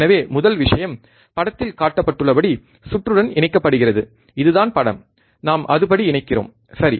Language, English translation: Tamil, So, first thing is connect the circuit as shown in figure, this is the figure we will connect it, right